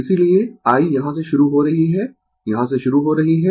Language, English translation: Hindi, That is why, I is starting from here, I is starting from here right